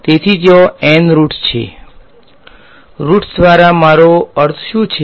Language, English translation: Gujarati, So, there are N roots, by roots what do I mean